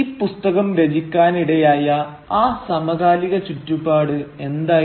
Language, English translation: Malayalam, And what was that contemporary milieu within which this book was produced